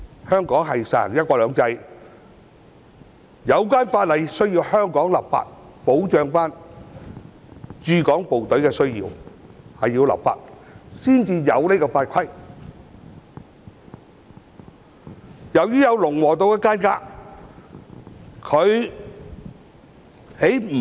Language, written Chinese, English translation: Cantonese, 香港實行"一國兩制"，需要由香港立法保障駐港部隊的需要，故此必須透過立法訂立相關法規。, Hong Kong upholds one country two systems it is therefore necessary for Hong Kong to enact legislation to assure the needs of the Hong Kong Garrison . As a result we need to made relevant rules and regulations by way of legislation